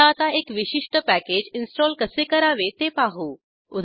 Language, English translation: Marathi, Let us see how to install a particular package